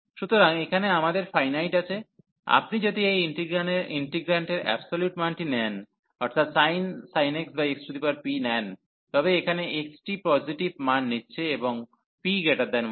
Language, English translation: Bengali, So, here we have the inte; if you take the absolute value of this integrant that means, the sin x and x power p, so here x taking positive values, and p is greater than 1